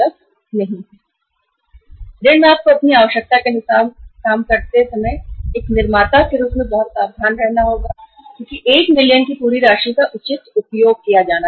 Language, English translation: Hindi, In the loan you have to be very very careful as a manufacturer while working out your requirement that entire amount of the 1 million should be properly utilized